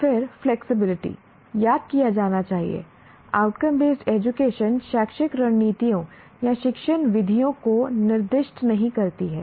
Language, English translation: Hindi, What should be remembered is outcome based education does not specify educational strategies or teaching methods